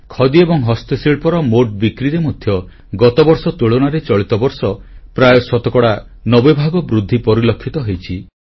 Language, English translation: Odia, Compared to last year, the total sales of Khadi & Handicrafts have risen almost by 90%